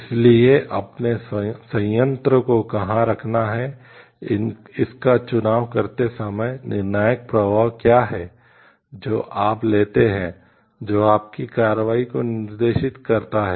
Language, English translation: Hindi, So, when your making a choice of where to put your plant, then what are the decisional flows that you take which guides your action